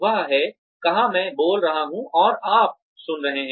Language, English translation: Hindi, Where, I am speaking, and you are listening